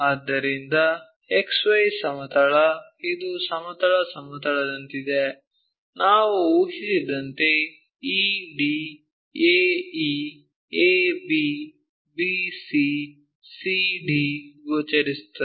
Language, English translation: Kannada, So, X Y plane, horizontal plane like, what we have guessed ED, AE, AB, BC, CD are visible